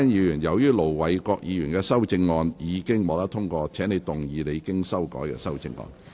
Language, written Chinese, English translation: Cantonese, 容海恩議員，由於盧偉國議員的修正案已獲得通過，請動議你經修改的修正案。, Ms YUNG Hoi - yan as the amendment of Ir Dr LO Wai - kwok has been passed you may move your revised amendment